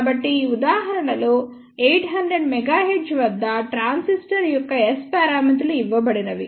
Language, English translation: Telugu, So, this is an example S parameters of a transistor at 800 mega hertz are given